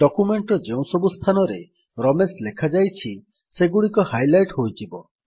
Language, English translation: Odia, You see that all the places where Ramesh is written in our document, get highlighted